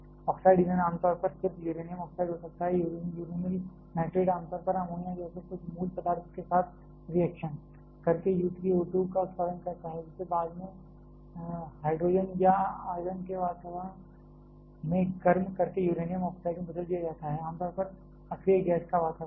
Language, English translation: Hindi, Oxide fuel commonly can be just uranium oxide, uranyl nitrate generally reacts with some basic substance like ammonia to produce U 3 O 2; which is subsequently converted to uranium oxide by heating it in an environment of hydrogen or argon, generally a environment of inert gas